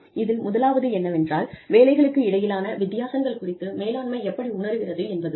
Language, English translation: Tamil, The first one is, how does the management perceive, differences in between jobs